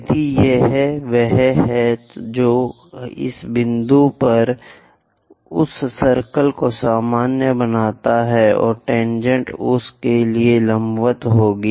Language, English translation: Hindi, So, this is the one which makes normal to that circle at this point, and tangent will be perpendicular to that this will be